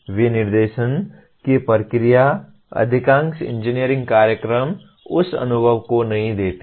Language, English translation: Hindi, The process of specification itself, most of the engineering programs do not give that experience